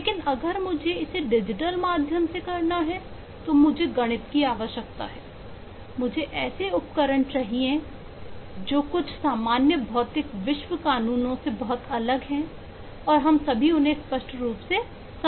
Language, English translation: Hindi, but if I have to do it through digital means, I need a mathematics, I need tools which are very different from the some ordinary physical world laws and not all of those yet are very clearly understood